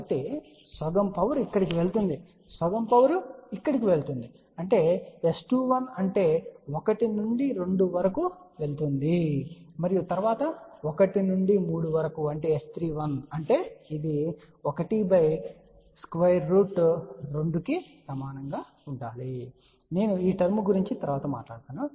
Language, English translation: Telugu, So, half power goes here half power goes here, so that means S 2 1 which is power going from 1 to 2 and then from 1 to 3 which is S 3 1 that should be equal to 1 by square root 2 I will talk about this term little later on